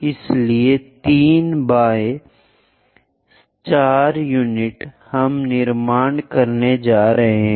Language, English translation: Hindi, So, 3 by 4 units we are going to construct